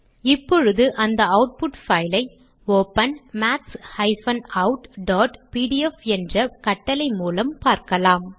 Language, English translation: Tamil, Let us view this output file by the command, open maths out.pdf